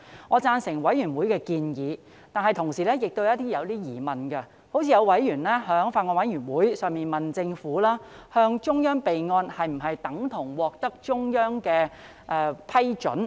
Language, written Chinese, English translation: Cantonese, 我贊成法案委員會的建議，但同時亦有些疑問，例如有委員在法案委員會上問政府，向中央備案是否等同獲得中央批准？, I agree with the suggestion of the Bills Committee but I also have some questions . For example a member asked the Government at the Bills Committee whether reporting to the Central Government for the record was tantamount to obtaining its approval